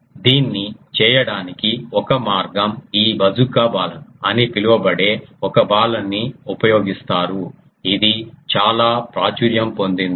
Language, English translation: Telugu, One way of doing this this is called a one of the Balun is this Bazooka Balun, it is very popular